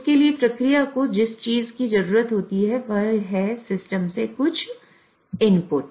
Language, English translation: Hindi, So, for that, what the process needs is some inputs from the system